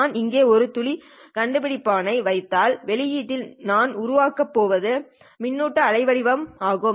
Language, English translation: Tamil, If I put in a photo detector here, what is that I'm going to generate at the output